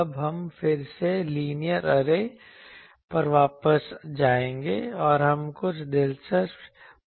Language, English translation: Hindi, Now, we will again go back to the linear array, and we will see some interesting results